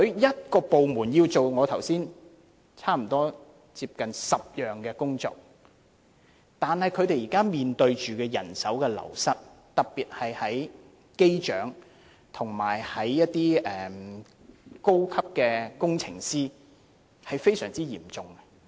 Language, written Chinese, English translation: Cantonese, 這個部門負責我剛才所說的差不多10項工作，但他們現時面對人手流失，特別是機長和高級工程師的流失情況非常嚴重。, This disciplinary force is responsible for nearly 10 types of work that I just mentioned but is now facing manpower shortage especially in the positions of Pilots and Senior Aircraft Engineers